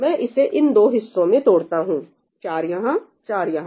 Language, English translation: Hindi, let me break it up into these 2 halves 4 here, 4 here